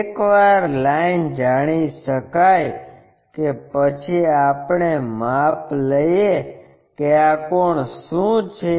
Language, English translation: Gujarati, Once line is known we can measure what is this angle